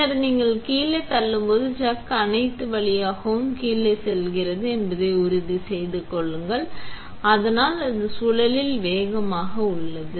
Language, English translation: Tamil, And when you then push down, make sure that the chuck goes all the way down, so it is faster on the spindle